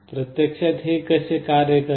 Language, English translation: Marathi, This is actually how it works